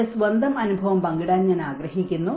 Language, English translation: Malayalam, I would like to share my own experience